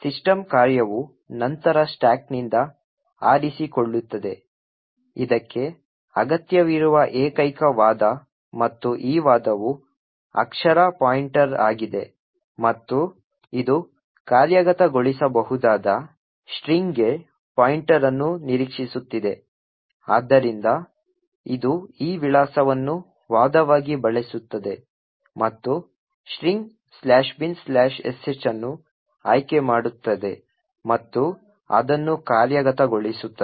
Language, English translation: Kannada, The system function would then pick from the stack, the only argument that it requires and this argument is a character pointer and it is expecting a pointer to a string comprising of an executable, so it uses this address as the argument and picks the string /bin/sh and executes it